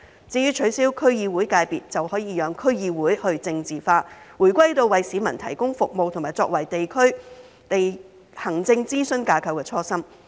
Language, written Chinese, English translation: Cantonese, 至於取消區議會界別，就可以讓區議會去政治化，回歸到為市民提供服務和作為地區行政諮詢架構的初心。, As for the abolition of the District Council subsectors it will allow District Councils to be depoliticized and return to their original mission of providing services to the public and serving as advisory bodies for district administration